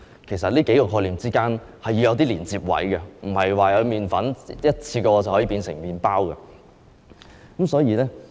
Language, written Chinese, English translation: Cantonese, 其實，這數個概念之間是要有連接位的，不是麵粉一下子便可以變成麵包。, In fact there is connection among these concepts . It is not the case that flour can turn into bread in one go